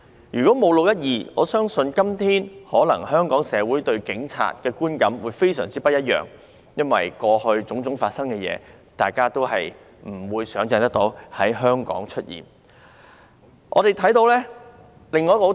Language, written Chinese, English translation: Cantonese, 如果沒有"六一二"事件，我相信今天香港社會對警察的觀感會非常不一樣，因為當天發生的種種事情，是大家都無法想象會在香港出現的。, If the 12 June incident had not happened Hong Kong society today would have a very different view on the Police as we simply could not imagine that things that happened on that day could have ever happened in Hong Kong